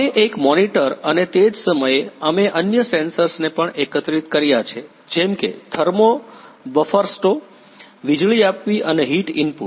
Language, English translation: Gujarati, We can one monitor and on the same time we have also integrated other sensors such as or thermo buffersto the wielding and the heat input